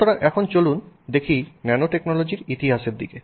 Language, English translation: Bengali, So, now let's look at the history of nanotechnology